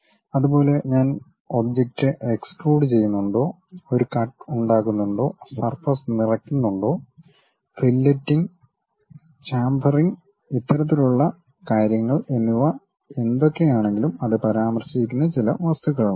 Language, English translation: Malayalam, Similarly, whatever the operations like whether I am extruding the object, making a cut, fill filling some surface, filleting, chamfering this kind of things are also some of the objects it will mention